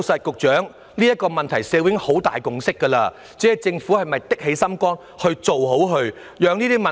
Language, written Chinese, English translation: Cantonese, 局長，社會已就此問題達成很大共識，只要政府果斷作出決定，便能處理種種問題。, Secretary an extensive consensus has already been reached in the community on this issue and the Government will be able to tackle various problems as long as decisions can be made with determination